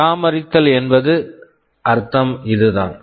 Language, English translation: Tamil, This is what we mean by maintainability